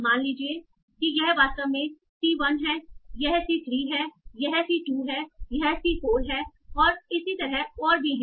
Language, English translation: Hindi, Suppose this is actually a C1, this is C3, this is C2, this is C4 and so on